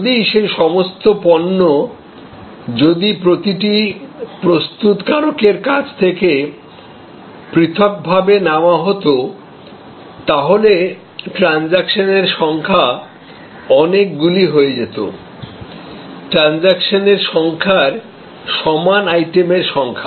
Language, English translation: Bengali, If all those products that could be sourced individually from each manufacturer, then the number of transactions would have been those many, the number of items equal to the number of transactions